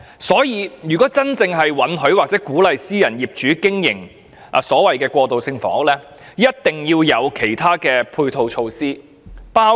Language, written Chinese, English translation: Cantonese, 所以，如果政府真的准許或鼓勵私人業主經營過渡性房屋，便必須制訂其他配套措施。, Therefore if the Government really allows or encourages private owners to operate transitional housing other supporting measures must be formulated